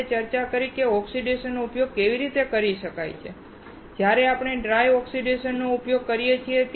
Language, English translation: Gujarati, We discussed how oxidation can be used and where we use dry oxidation